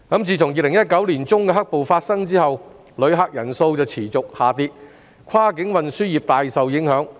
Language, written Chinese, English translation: Cantonese, 自2019年年中的"黑暴"事件發生後，旅客人數持續下跌，跨境運輸業大受影響。, Since the occurrence of black - clad violence in mid - 2019 the number of visitor arrivals has continuously dropped greatly affecting the cross - boundary transport industry